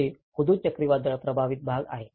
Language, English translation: Marathi, This is on the Hudhud cyclone affected areas